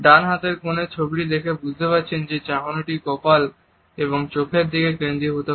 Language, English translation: Bengali, As you can make out by looking at the picture on the right hand side corner that the gaze is focused on the forehead and eyes